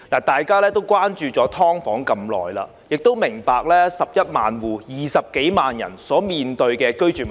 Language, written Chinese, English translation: Cantonese, 大家關注"劏房"問題已久，亦明白11萬"劏房戶"共20多萬人所面對的居住問題。, In my view this will mark an important milestone . We have been concerned about the SDU issue for a long time and we understand the housing problem faced by the 110 000 SDU households comprising over 200 000 people